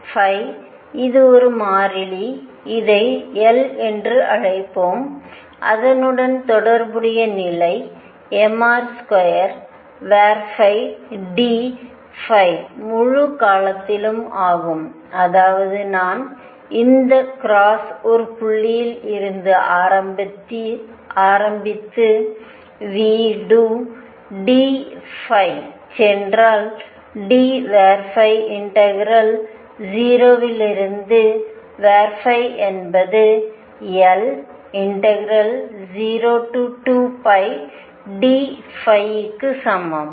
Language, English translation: Tamil, Phi dot which is a constant let us call this L and the corresponding condition is m r square phi dot d phi over the whole period; that means, if I start from one point from this cross and go all over that is v do d phi integral from 0 to phi this is equal to L time 0 to 2 pi d phi